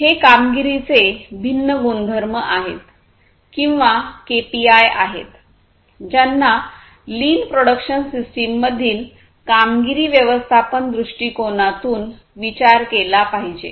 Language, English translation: Marathi, So, these are the different performance attributes or the KPIs that have to be considered from a performance management viewpoint, in the lean production system